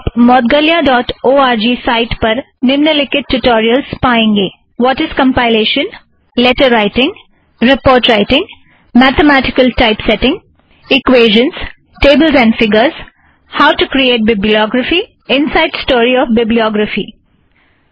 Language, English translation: Hindi, Visit moudgalya.org for the following spoken tutorials on latex: What is compilation, letter writing, report writing, mathematical typesetting, equations, tables and figures, how to create a bibliography, and Inside story of bibliography